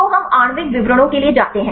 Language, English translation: Hindi, So, we go for the molecular descriptors